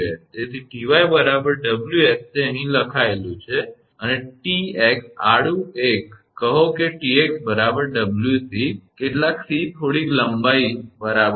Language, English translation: Gujarati, So, Ty is equal to Ws it is written here and Tx horizontal one, say Tx is equal to W c some c is some length right